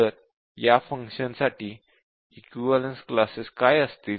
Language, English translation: Marathi, So what will be the equivalence classes for this function